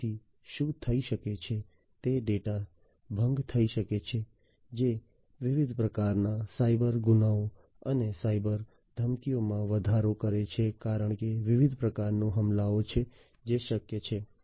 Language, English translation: Gujarati, So, what might happen is one might incur data breaches, which increases different types of cyber crimes and cyber threats because there are different types of attacks, that are possible